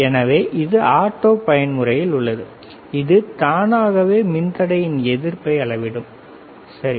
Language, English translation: Tamil, So, this is in auto mode so, it will automatically measure the resistance of the resistor, all right